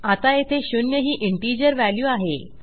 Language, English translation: Marathi, And right now its zero the integer zero